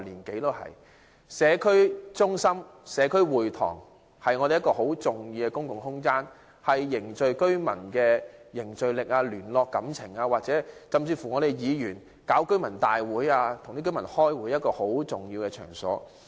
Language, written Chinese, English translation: Cantonese, 社區中心及社區會堂是很重要的公共空間，是凝聚居民、聯絡感情或議員舉辦居民大會或會議的重要場所。, Community centres and community halls are very important public spaces for the residents social gathering liaison or for District Council members to convene resident forums or meetings